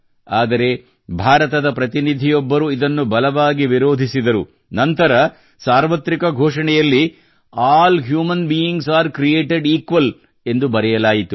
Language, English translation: Kannada, But a Delegate from India objected to this and then it was written in the Universal Declaration "All Human Beings are Created Equal"